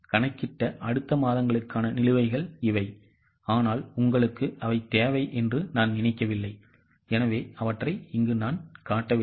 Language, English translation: Tamil, These are the balances for the next ones calculated by me but I don't think you need them so I will hide them